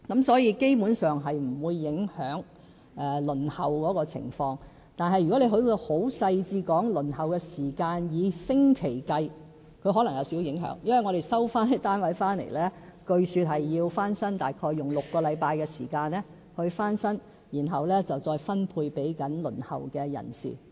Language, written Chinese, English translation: Cantonese, 所以，基本上，這是不會影響輪候的情況；但如果要很細緻地說出以星期計算的輪候時間，則可能有少許影響，因為我們收回的單位，據說需要約6星期時間翻新，然後再分配給正在輪候的人士。, Hence basically the waiting time will not be affected . But there may be a slight impact if the waiting time is counted in weeks because I am told that a unit resumed needs about six weeks for refurbishment before it can be reallocated to the people on the waiting list